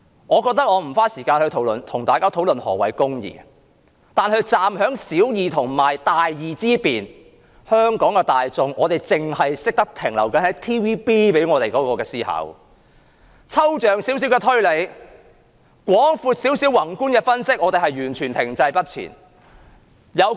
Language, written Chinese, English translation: Cantonese, 我不想花時間討論何謂"公義"，但站在小義與大義之辨，香港的大眾卻仍然只停留於 TVB 向我們灌輸的思考方式，連少許抽象推理，稍為廣闊或宏觀的分析也欠奉。, I do not want to spend time discussing the meaning of righteousness . And yet in the face of the difference between small and great righteousness Hong Kongs general public have still clung to the mentality instilled in them by TVB . They do not have the slightest ability in abstract reasoning nor can they analyse from a broader or macro perspective